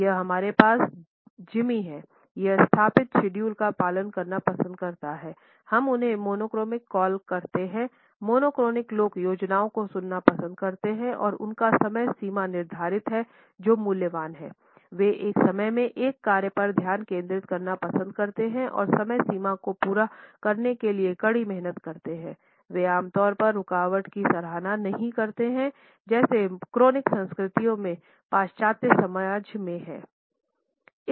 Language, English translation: Hindi, Here we have Jimmy, he likes to follow established schedules, we call them monochromic; monochronic people like to hear the plans and deadlines their time is valuable they like to focus on one task at a time and work hard to meet deadlines and they do not appreciate interruptions one of the chronic cultures commonly followed in western society